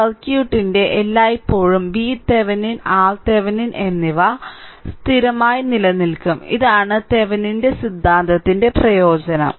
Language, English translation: Malayalam, So, V Thevenin and R Thevenin always fixed part of the circuit will remain same, this is the this is the advantage of the Thevenin’s theorem right